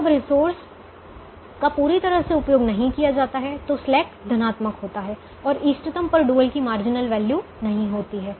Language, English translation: Hindi, when the resource is not utilized fully, the slack is positive and the dual will not have a marginal value at the optimum